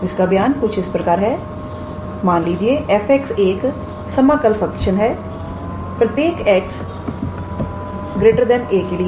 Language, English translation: Hindi, So, the statement goes like this let f x be an integrable function for x greater than a